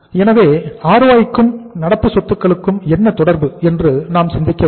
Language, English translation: Tamil, So we have to think about that what is the relationship between the ROI and the current assets